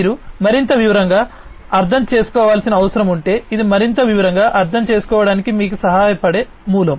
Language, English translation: Telugu, But if you need to understand in further more detail this is the source that can help you to understand in further more detail